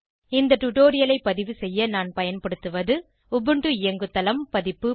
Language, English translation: Tamil, To record this tutorial, I am using: Ubuntu OS version